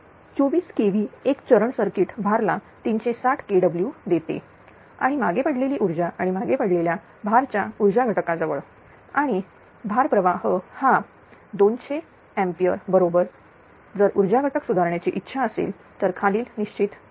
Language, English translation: Marathi, 4 kilo volt single phase circuit feeds a load of 360 kilowatt and lagging power and at a lagging load power factor and the load current is 200 ampere right if it is desired to improve the power factor determine the following right